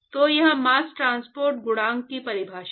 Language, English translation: Hindi, So, that is the definition for mass transport coefficient